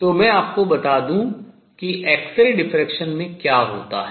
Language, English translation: Hindi, So, the way it was explained we are on x ray diffraction